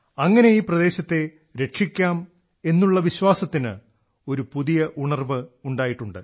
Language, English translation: Malayalam, Through this now a new confidence has arisen in saving this area